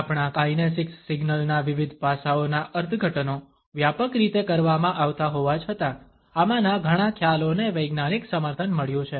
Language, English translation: Gujarati, The interpretations of various aspects of our kinesics signals are rather generalized even though many of these perceptions have got a scientific backing down